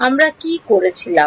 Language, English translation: Bengali, What did we do